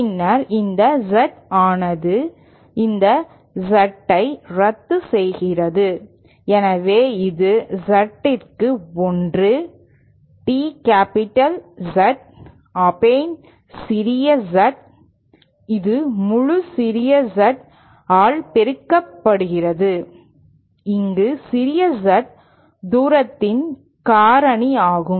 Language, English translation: Tamil, And then in the numerator this Z cancels this Z so this then becomes equal to 1 upon Z, D capital Z upon small Z and this whole multiplied by the small Z